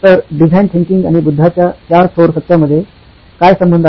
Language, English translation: Marathi, So, what is the connection between design thinking and the four noble truths of Buddha